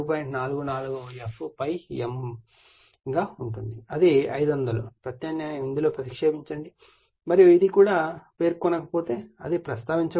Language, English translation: Telugu, 44 f ∅ m that will be 500 divided / you substitute and the if even it is not mentioned; even if it is not mentioned right